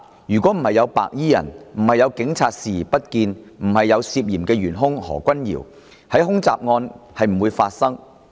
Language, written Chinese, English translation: Cantonese, 如果沒有白衣人，沒有警察視而不見，沒有嫌疑元兇何君堯議員，恐襲案便不會發生。, Without those white - clad gangsters without the Police which turned a blind eye to it and without this suspected culprit called Dr Junius HO this terrorist attack would not have taken place